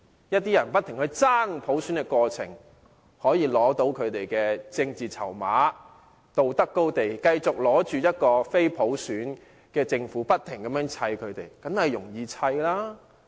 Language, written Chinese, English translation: Cantonese, 有些人在不斷爭取普選的過程中，取得所需要的政治籌碼，站在道德高地，繼續以政府並非普選產生為理由，不停地"砌"政府，這樣當然易辦。, In the endless fight for universal suffrage some manage to get political chips for themselves . They stand on the moral high ground and keep lashing out at the Government for the reason that it is not elected by universal suffrage